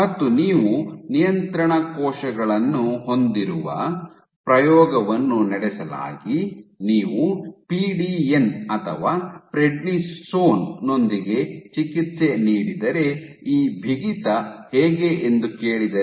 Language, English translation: Kannada, So, experiment was performed in which you had control cells if you had treat it with PDN or prednisone and asked how does this stiffness strange ok